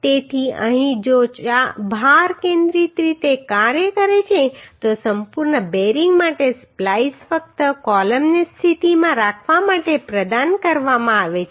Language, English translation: Gujarati, So here if load is uhh concentrically acting then for complete bearing the splice is provided just to hold the columns in position right